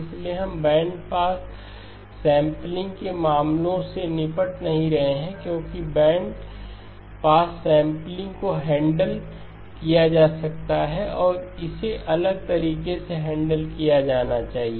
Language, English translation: Hindi, So we are not dealing with the cases of bandpass sampling because bandpass sampling can be handled and should be handled differently